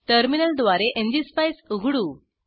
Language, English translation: Marathi, let us open ngspice through terminal